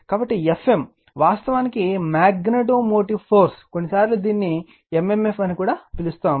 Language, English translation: Telugu, So, F m is actually magnetomotive force, sometimes we call it is at m m f